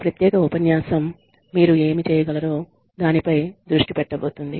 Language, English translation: Telugu, This particular lecture is going to be focused on, what you can do